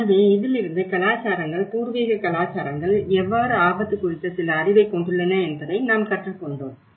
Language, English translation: Tamil, So this is all, we have learned how cultures, indigenous cultures do possess some knowledge on the risk